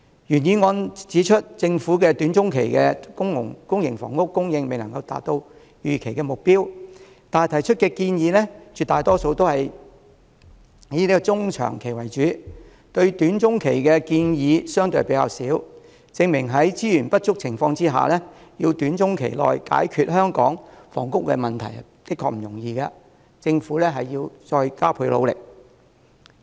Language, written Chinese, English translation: Cantonese, 原議案指出政府短中期的公營房屋供應未能符合預期目標，但提出的建議絕大部分卻是以中長期為主，關於短中期的建議相對較少，證明在資源不足的情況下，要短中期內解決香港房屋問題殊不容易，政府應加倍努力。, The original motion points out that public housing supply in the short - to - medium term will fail to meet the expected target yet the vast majority of the proposals focus on the medium - to - long term and relatively fewer on the short - to - medium term . This shows that solving the housing issue in Hong Kong in the short - to - medium term under resources constraints is not an easy task and the Government should step up its efforts